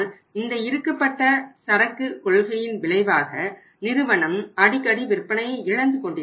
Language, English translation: Tamil, But as a result of that as a result of the tightened inventory policy company is losing the sales on the frequently on the frequent basis